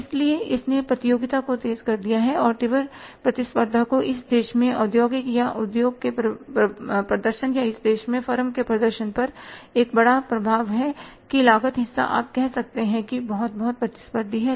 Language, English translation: Hindi, So, it has intensified competition and intensified competition has one major impact upon the industrial or industries performance in this country or firm's performance in this country that the cost part is very very say you can call it as competitive